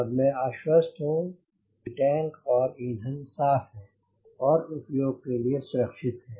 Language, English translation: Hindi, so now i am pretty sure that my fuel system, my fuel tanks and my fuel is safe for use